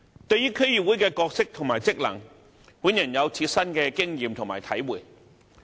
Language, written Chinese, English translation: Cantonese, 對於區議會的角色及職能，本人有切身的經驗和體會。, Concerning the role and functions of DCs I have personal experience and understanding of them